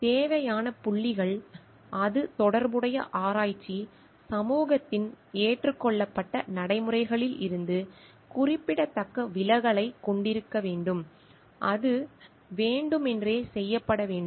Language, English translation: Tamil, The required points are it should have a significant departure from accepted practices of relevant research community, it should be committed intentionally